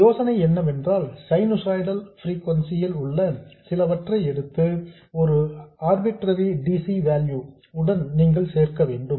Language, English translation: Tamil, The idea is that you add a signal which is at some sinusoidal frequency to an arbitrary DC value